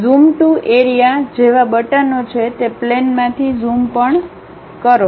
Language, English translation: Gujarati, There are buttons like Zoom to Area, zoom out of that plane also